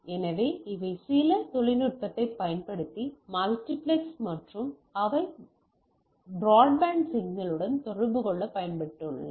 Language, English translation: Tamil, So, those are multiplex using some technology and that has be communicated to a broadband signal